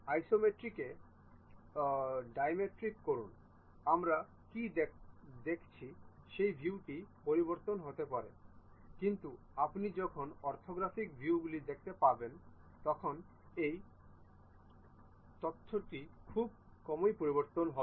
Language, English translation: Bengali, At Isometric, Dimetric the view what we are seeing might change, but when you are going to look at orthographic views these information hardly changes